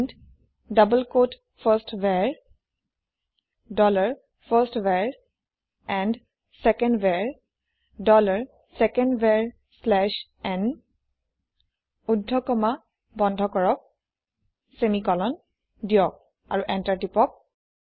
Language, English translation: Assamese, Now to print these values, type print double quote firstVar: dollar firstVar and secondVar: dollar secondVar slash n close double quote semicolon press Enter